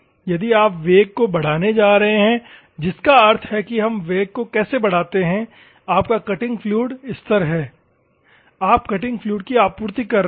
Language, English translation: Hindi, If you are going to increase the velocity that means, that how we increase the velocity, your cutting fluid is constant, your supplying cutting fluid